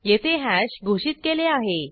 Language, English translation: Marathi, This is the declaration of hash